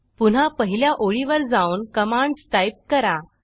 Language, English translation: Marathi, Go back to the first line and type the following command